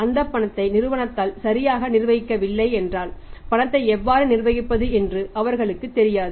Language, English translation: Tamil, Now what that cash is doing in that company if that cash is not properly managed by the company it means they do not know how to manage cash